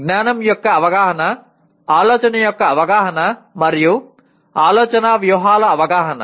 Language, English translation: Telugu, Awareness of knowledge, awareness of thinking, and awareness of thinking strategies